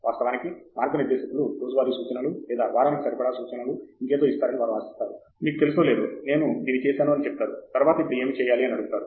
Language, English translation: Telugu, They expect the guides to actually give out day to day instructions or, you know, or weekly instructions, I have done this, now what next